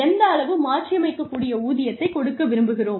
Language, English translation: Tamil, And, how much of variable pay, we want to give them